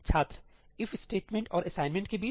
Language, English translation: Hindi, Between If and assignment